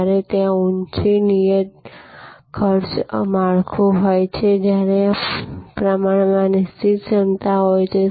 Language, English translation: Gujarati, When, there is a high fixed cost structure, when there is a relatively fixed capacity